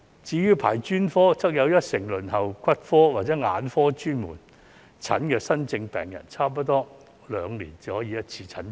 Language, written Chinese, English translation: Cantonese, 至於專科，有一成輪候骨科或眼科專科門診的新症病人，差不多兩年才可以診症一次。, As for specialist services 10 % of new patients waiting for orthopaedics and traumatology and eye specialist outpatient services have to wait nearly two years for a consultation session . Let me provide more data